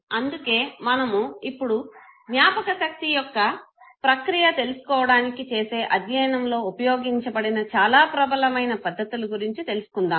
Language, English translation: Telugu, So let us now talk about the methods that are predominantly used for studying the process of memory